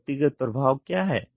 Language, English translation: Hindi, What is the individual effect